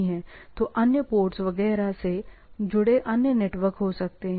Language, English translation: Hindi, So, there can be other networks connected from other ports etcetera